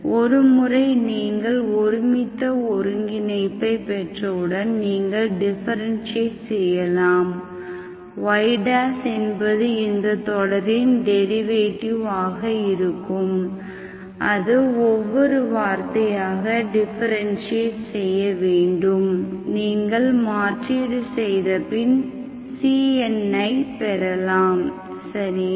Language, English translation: Tamil, So once you have a uniform convergence, you can just differentiate, y dash will be derivative of this series, that is nothing but term by term differentiation, that you can substitute to get your CNs, okay